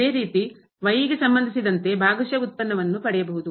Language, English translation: Kannada, Same we can do to get the partial derivative with respect to